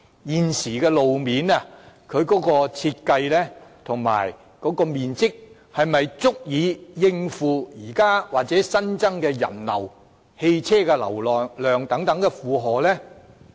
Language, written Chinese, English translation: Cantonese, 現時的路面設計和面積是否足以應付現時或新增的人流和車流呢？, Are the current design and size of roads adequate to cope with the people and vehicular flows at the present or increased level?